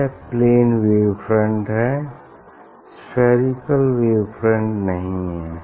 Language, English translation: Hindi, this is the wave front plane wave front, this not spherical wave, front plane wave front